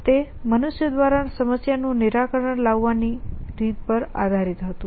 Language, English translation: Gujarati, It was based on the way thought human beings solve problem